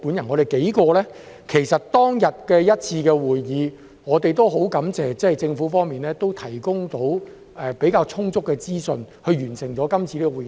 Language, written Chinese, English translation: Cantonese, 我們數人在當天一次會議上很感謝政府方面能提供比較充足的資訊，去完成該次的會議。, We were grateful that the Government provided us with enough information at a meeting of the Bills Committee which enabled us to finish the meeting